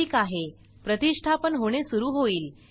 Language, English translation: Marathi, Alright, now it starts to install